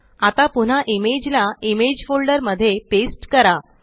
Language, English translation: Marathi, Now paste the image back into the image folder